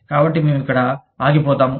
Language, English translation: Telugu, So, we will stop here